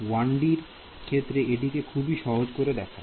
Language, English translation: Bengali, In 1D, it looks very simple